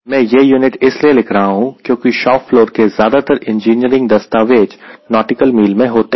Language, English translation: Hindi, i am writing this unit because most of the documents we find engineering documents in the shop floor will be in nautical miles